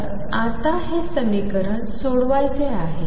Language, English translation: Marathi, So now, this equation is to be solved